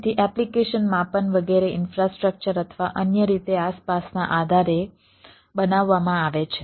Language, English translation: Gujarati, so application size seeing, etcetera are made based on the infrastructure or other way around